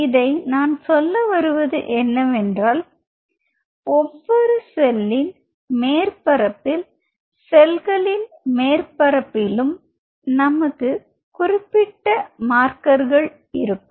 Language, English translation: Tamil, So, what I wanted to say is say for example, on the cell surface you have specific markers